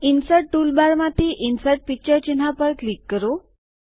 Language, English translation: Gujarati, From the Insert toolbar,click on the Insert Picture icon